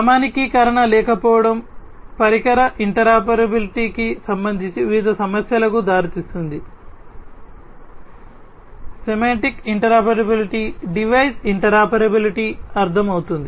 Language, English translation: Telugu, So, lack of standardization leads to different issues related to device interoperability, semantic interoperability device interoperability is understood